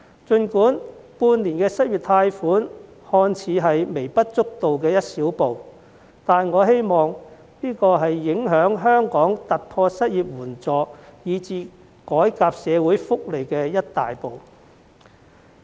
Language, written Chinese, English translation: Cantonese, 儘管半年的失業貸款計劃看似是微不足道的一小步，但我希望這是影響香港突破失業援助以至改革社會福利的一大步。, While this six - month unemployment loan scheme appears to be an insignificantly small step I hope that this will mark a big step towards Hong Kongs breakthrough in unemployment assistance and even social welfare reform